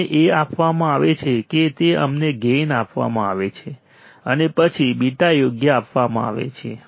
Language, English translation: Gujarati, What we are given we are given gain is given and then beta is given correct